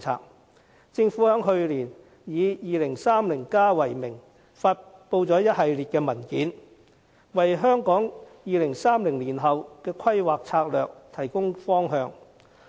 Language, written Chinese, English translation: Cantonese, 去年，政府以《香港 2030+》為名，發布一系列文件，為香港2030年後的規劃策略提供方向。, Last year the Government published a series of documents under the title Hong Kong 2030 to provide directions on strategic planning beyond 2030